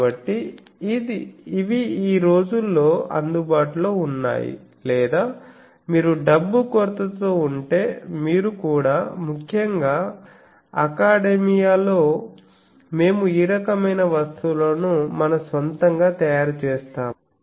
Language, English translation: Telugu, So, these are nowadays available or you can make your own also if you were running short of money; particularly in academia, we make this type of things on our own